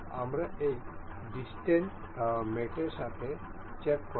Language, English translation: Bengali, We will check with this distance mate